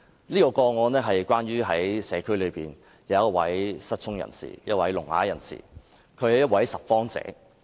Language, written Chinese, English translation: Cantonese, 這宗個案的主角是社區內一位聾啞人士，他是一位拾荒者。, The person involved in this case was a deaf - mute a scavenger in my constituency